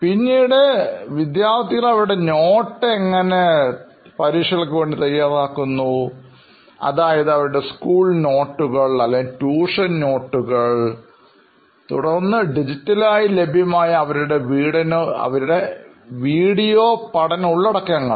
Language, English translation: Malayalam, Then is the actual note taking process, how efficiently students are able to take notes and organize their written content for say it like their school notes or tuition notes preparation for their examinations, then their video learning content which is digitally available nowadays